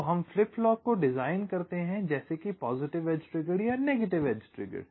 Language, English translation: Hindi, so we design the flip flop like a positive edge triggered or a negative edge triggered